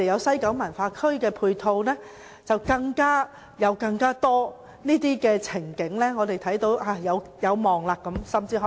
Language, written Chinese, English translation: Cantonese, 西九文化區的配套及很多其他情景，令我們看到一點希望。, The ancillary facilities in the West Kowloon Cultural District and many other scenes have given us a glimpse of hope